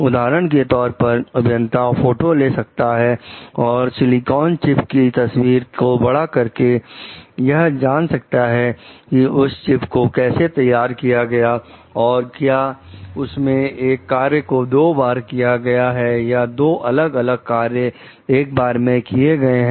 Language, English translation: Hindi, For example, engineers might photograph and enlarge the picture of silicon chips to learn about the architectural features of the chips, so, such as whether it uses 1 function twice or 2 different functions once